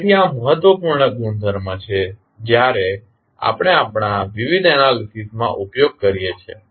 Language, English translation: Gujarati, So, this is important property when we use in our various analysis